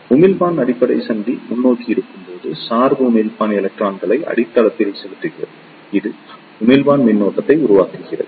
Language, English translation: Tamil, When the emitter base junction is forward bias emitter injects the electrons into the base, this constitutes the emitter current